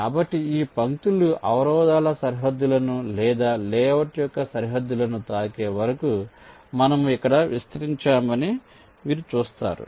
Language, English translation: Telugu, so you see, here we have extended this lines till they either hit the boundaries of the obstructions, the obstructions, or the boundaries of the layout